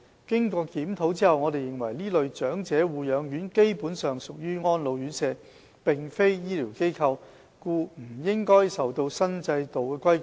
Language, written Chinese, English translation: Cantonese, 經檢討後，我們認為這類長者護養院基本上屬於安老院舍，並非醫療機構，故不應受新制度規管。, After reviewing these facilities we consider that they are basically nursing homes for elderly persons and should not be regulated as such under the new regulatory regime